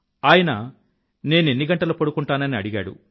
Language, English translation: Telugu, He asked me, "How many hours do you sleep